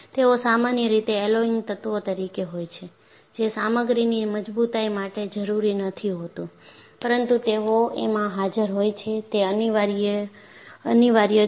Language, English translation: Gujarati, They are usually alloying elements, not essential to the strength of the material, but they are present, it is unavoidable